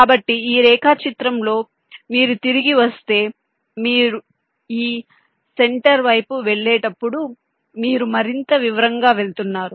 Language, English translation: Telugu, so in this diagram, if you come back to it, so as you move towards this center, your going into more and more detail